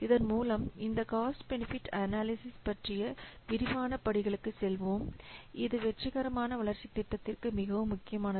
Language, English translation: Tamil, With this now we will go to the detailed steps of this cost benefit analysis which is very very important for successful development of project